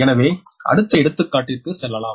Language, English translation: Tamil, so next, another example